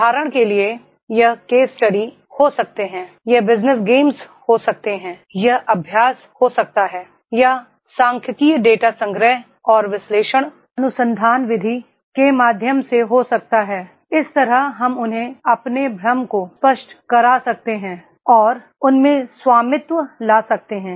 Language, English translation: Hindi, For example, it can be the case studies, this can be the business games, this can be the exercises, this can be the statistical data collection and analysis, research method and through this way we can make them clear their confusion and make them to ownership